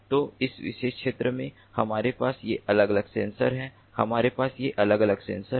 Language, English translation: Hindi, so in this particular region, we have these different sensors